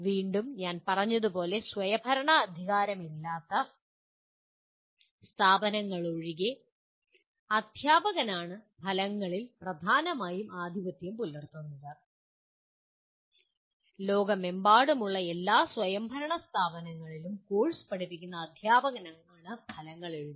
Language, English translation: Malayalam, Once again as I said it is only the outcomes are dominantly written by the teacher except in non autonomous institutions, in all autonomous institutions around the world it is the teacher who teaches the course, writes the outcomes